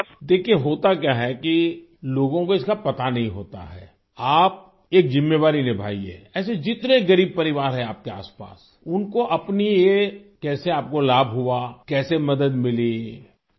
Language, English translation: Urdu, See what happens people do not know about it, you should take on a duty, find out how many poor families are around you, and how you benefited from it, how did you get help